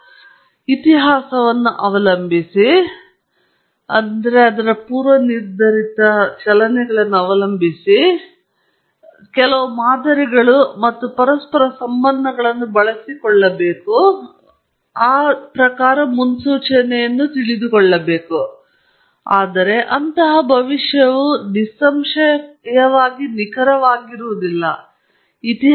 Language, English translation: Kannada, I depend on the history, and hope that history has some reputation in it, and I exploit the historical patterns and correlations and so on, and make a prediction, but that prediction is going to be, obviously, not accurate